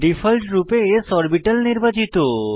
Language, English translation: Bengali, By default, s orbital is selected